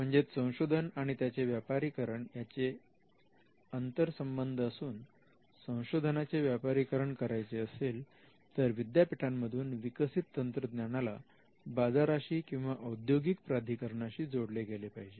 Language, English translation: Marathi, So, we use these words interchangeably a research if research needs to be commercialized, then the technology developed in the university has to go to the market or to the industry players